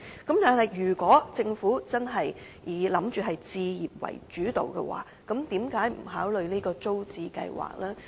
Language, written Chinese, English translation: Cantonese, 但是，如果政府真的以置業為主導，為何不考慮復推租者置其屋計劃呢？, But if the Government has really shifted to the home ownership - led approach why does it refuse to consider the idea of restoring the Tenants Purchase Scheme?